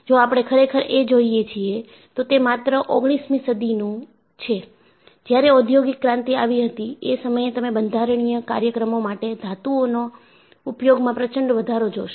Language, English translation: Gujarati, And, if we really look at, it is only in the nineteenth century, when there was industrial revolution; you see an enormous increase in the use of metals for structural applications